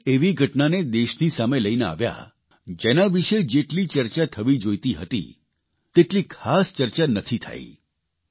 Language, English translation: Gujarati, He has brought to the notice of the country an incident about which not as much discussion happened as should have been done